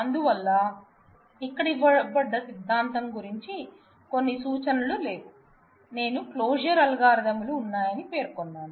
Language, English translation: Telugu, So, there is little bit of references to the theory given here, I have mentioned that there are closure algorithms ah